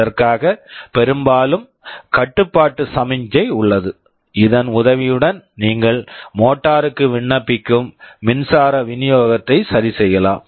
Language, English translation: Tamil, For this there is often a control signal with the help of which you can adjust the power supply you are applying to the motor